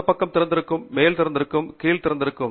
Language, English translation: Tamil, This side is open, top is open, bottom is open